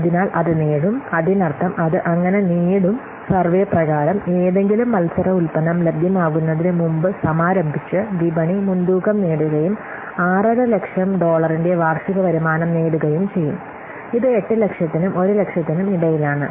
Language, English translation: Malayalam, So it will gain, that means, it will gain, so according to the survey, it will gain a market lead by launching before any competing product becomes available and achieve annual income of $6,000,000 which is in between this $8,000 and 1,000